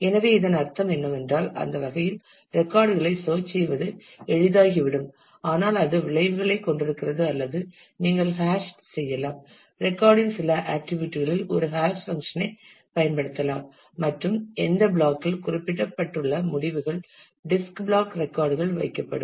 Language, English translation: Tamil, So, what it will mean that it will become easier to search the records in that way, but it has consequences or you can hash you can use a hash function on a some of the attributes of the record and the results specified on which block which disk block the record will be placed